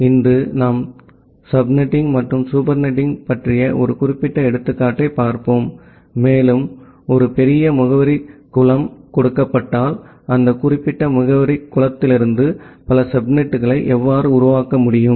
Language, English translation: Tamil, So, today we will look into a specific example about the subnetting and supernetting, and given a larger address pool, how can you construct multiple subnets out of that particular address pool